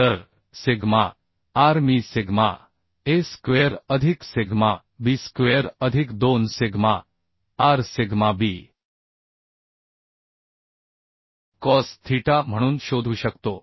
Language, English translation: Marathi, So sigma r I can find out as sigma s square plus sigma b square plus 2 sigma r sigma b cos theta so if I put the value 108